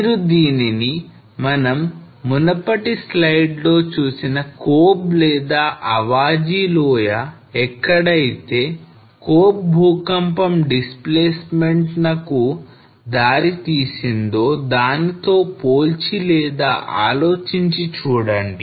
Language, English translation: Telugu, So you can just compare or think what we saw in couple of previous slides from Kobe or Awaji Island where the Kobe earthquake resulted into displacement